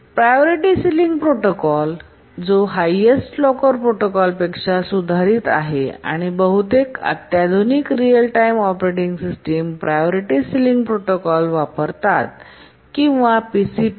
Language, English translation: Marathi, Now let's look at the priority sealing protocol which is a improvement over the highest locker protocol and most of the sophisticated real time operating systems use the priority ceiling protocol or PCP